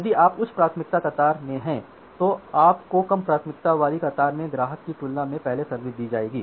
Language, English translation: Hindi, If you are in the high priority queue you will be serviced first compared to a customer at the low priority queue